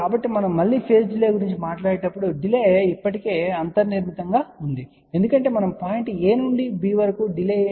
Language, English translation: Telugu, So, when we talk about again phase delay, so delay has already built in because we are talking from point a to b what is the delay